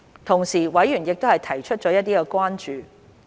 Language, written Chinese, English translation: Cantonese, 同時，委員提出了一些關注。, At the same time members have raised some concerns